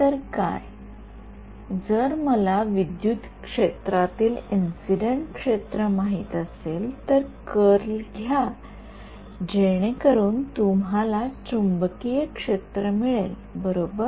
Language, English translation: Marathi, So, what, if I know incident field in the electric if I know the incident electric field take the curl you get the magnetic field right